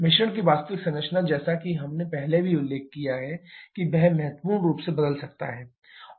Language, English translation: Hindi, The actual composition of mixture as we have already mention that can change significantly